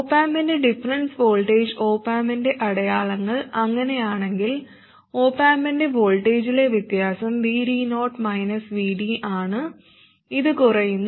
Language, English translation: Malayalam, And the difference voltage of the op amp, if the signs of the op amp were like that, the difference of the op amp is V D 0 minus V D and this will fall down